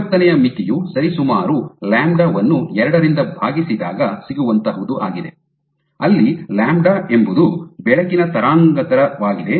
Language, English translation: Kannada, So, diffraction limit is you can approximately say lambda by 2 where lambda is the wavelength of light